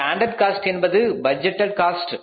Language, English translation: Tamil, Standard cost means the budgeted cost